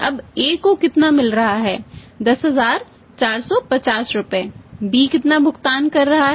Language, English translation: Hindi, Now how much is getting his getting 10450 rupees, how much is paying